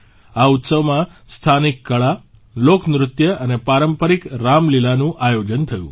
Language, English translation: Gujarati, Local art, folk dance and traditional Ramlila were organized in this festival